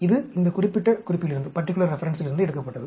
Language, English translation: Tamil, This is taken from this particular reference